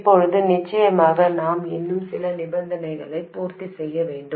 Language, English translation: Tamil, Now, of course, we have to satisfy some more conditions